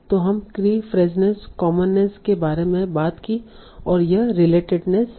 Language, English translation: Hindi, So we talked about key freshness, commonness, and this is relatedness